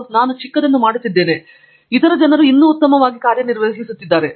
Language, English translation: Kannada, I am doing something so small, other people are doing great